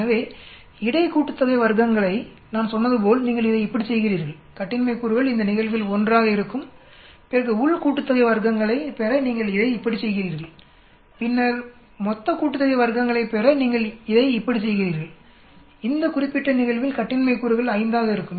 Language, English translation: Tamil, So between sum of squares as I said you do it like this and degrees of freedom will be in this case 1, then within sum of squares you do it like this and then total sum of squares you do it like this, in this particular case the degrees of freedom will be 5